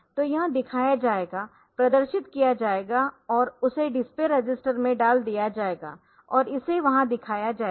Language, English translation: Hindi, So, that will be shown here and that will be displayed that will be put into the display register and that will be shown there, shown there